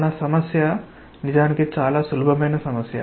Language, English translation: Telugu, Our problem is actually a very simple problem